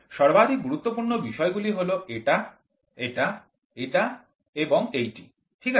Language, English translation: Bengali, The most important points are going to be this one, this one, this one and this one, right